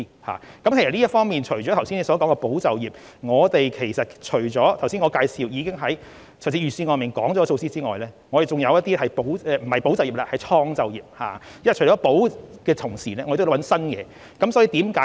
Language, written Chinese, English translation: Cantonese, 除了議員剛才說的保就業，以及我剛才介紹預算案提出的措施之外，還有一些措施是創造就業的，因為在"保"的同時，我們也要尋找一些新東西。, Apart from efforts to support employment which Members just mentioned and the measures in the Budget I just introduced there are measures that seek to create employment opportunities . It is because apart from preserving employment opportunities we also need to find new positions